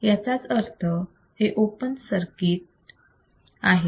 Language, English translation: Marathi, It is open circuit